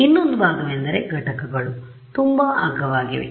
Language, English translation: Kannada, The other part is that the components are very cheap